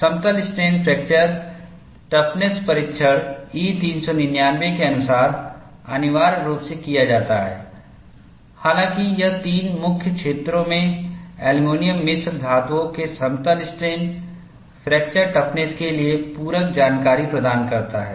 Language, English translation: Hindi, Plane strain fracture toughness testing is done essentially in accordance with E 399; however, it provides supplementary information for plane strain fracture toughness of aluminum alloys in three main areas